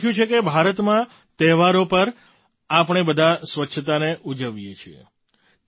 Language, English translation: Gujarati, She has written "We all celebrate cleanliness during festivals in India